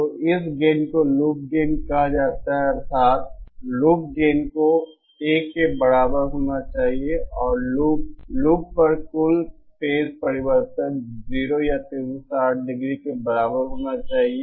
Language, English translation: Hindi, So this gain is also known as by the term called Loop Gain that is, Loop gain should be equal to 1 and the loop, total phase change over the loop should be equal to 0 or 360 degree